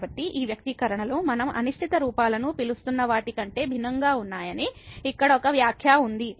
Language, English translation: Telugu, So, there was a remark here that these expressions which are different then these which we are calling indeterminate forms